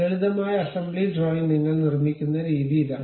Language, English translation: Malayalam, This is the way we construct a simple assembly drawing